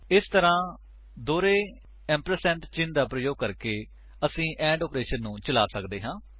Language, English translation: Punjabi, This way, using a double ampersand symbol we can perform an AND operation